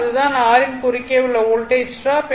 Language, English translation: Tamil, So, Voltage drop across small r is 5